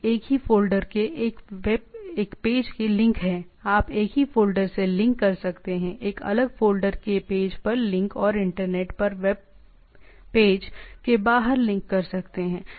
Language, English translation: Hindi, Link to a page of the same folder right, you can link to the same folder; link to a page of a different folder; and link outside the web page on the internet